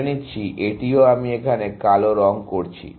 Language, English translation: Bengali, So, let us say, this also, I am coloring it black here